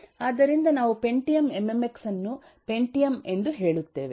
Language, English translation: Kannada, But then we have pentium mmx, which is pentium with multimedia functionality